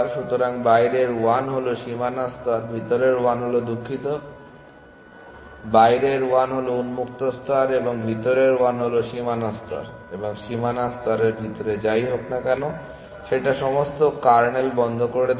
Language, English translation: Bengali, So, the outside 1 is the boundary layer the inner 1 is the sorry the outside 1 is the open layer and the inner 1 is the boundary layer and whatever inside the boundary layer is closed all the kernel